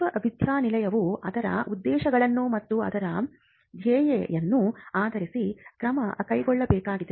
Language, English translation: Kannada, Now, this is a call that the university needs to take based on its objectives and its mission